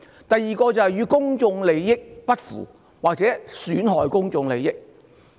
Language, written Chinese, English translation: Cantonese, 第二個元素是不符或損害公眾利益。, The second element is going against or jeopardizing public interest